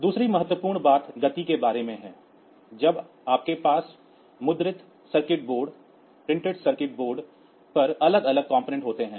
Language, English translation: Hindi, Second important thing is about the speed like when you have got the different components mounted on a printed circuit board